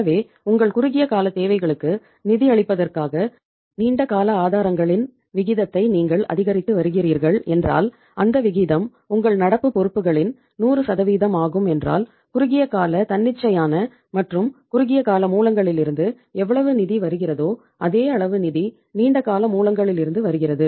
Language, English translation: Tamil, So if you are increasing the proportion of the long term sources to finance your short term requirements and that proportion is 100% of your current liabilities then how much funds are coming from the short term spontaneous and short term sources same amount of the funds is coming from the long term sources